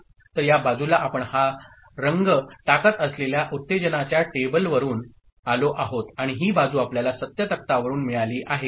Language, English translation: Marathi, So, this side we are getting from excitation table putting this color, and this side we are getting from truth table right